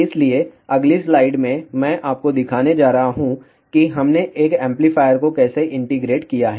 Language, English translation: Hindi, So, in the next slide I am going to show you where we have integrated an amplifier